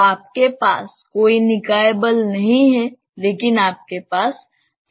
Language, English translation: Hindi, So, you have no body force, but you have acceleration